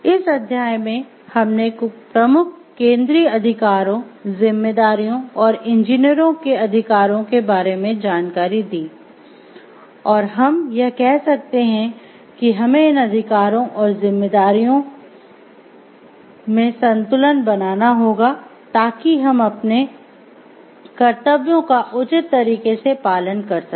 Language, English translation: Hindi, So, in this chapter in this discussion we have covered about the major central rights, responsibilities and rights of the engineers, and what we can say like if one of the these rights and responsibilities go hand in hand and we have to make a balance of these rights and responsibilities so, that we can address our duties in a proper way